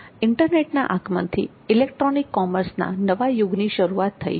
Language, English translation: Gujarati, Introduction of internet introduced a new era in the electronic commerce